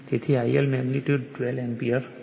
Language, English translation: Gujarati, So, I L magnitude is 12 Ampere right